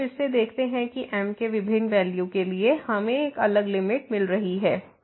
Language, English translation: Hindi, So, what we observe again that for different values of , we are getting a different limit